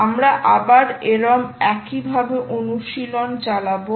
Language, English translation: Bengali, ah, we continue with the same exercise